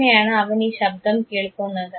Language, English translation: Malayalam, How does he here this sound